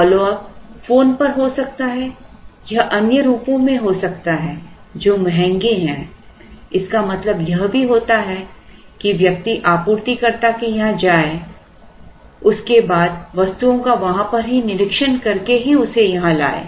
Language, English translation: Hindi, Follow up could be over the phone it could be over other forms which are expensive it would also mean a visit of a person going to this place and then may be inspecting it then and there and bringing it here